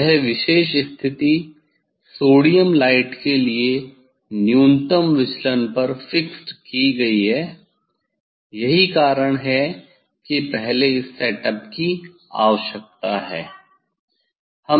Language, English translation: Hindi, that particular position is fixed at the minimum deviation of the for the sodium light that is why this first this setup is required